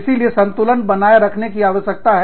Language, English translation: Hindi, So, balance needs to be maintained